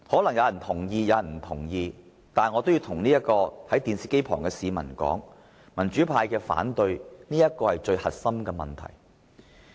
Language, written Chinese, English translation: Cantonese, 不過，我要向收看電視直播的市民說道，民主派之所以反對，便是因為這最核心的問題。, But I wish to tell those people who are watching the live television broadcast that the pro - democracy camp raises opposition precisely because of this fundamental issue